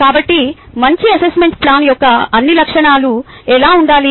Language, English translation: Telugu, so whats all characteristics of a good assessment plan should look like